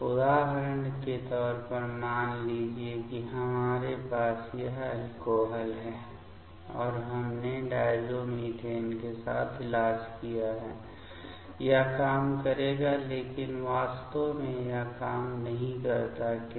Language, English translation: Hindi, As per example let us say we have this alcohol and we treated with diazomethane will it work but actually it does not work; why